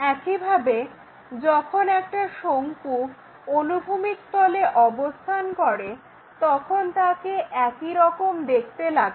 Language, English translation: Bengali, Now, if a cone is resting on horizontal plane, how it looks like same way